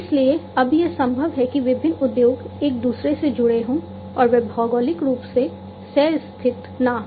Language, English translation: Hindi, So, now, it is possible that different industries would be connected to each other and they may not be geographically co located